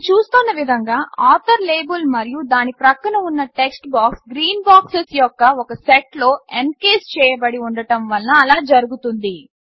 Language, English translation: Telugu, This is because we see that the author label and its textbox adjacent to it, are encased in one set of green boxes